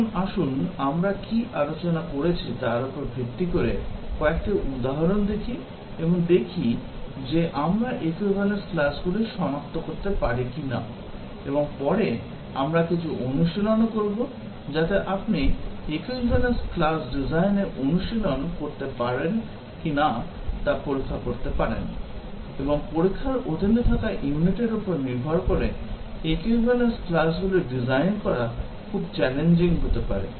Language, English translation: Bengali, Now, let us look at some examples based on what we discussed and see if we can identify the equivalence classes; and later, we will have some practice also given, so that, you can test whether you can have practice design equivalence classes; and depending on the unit that under test, it can be very very challenging to design the equivalence classes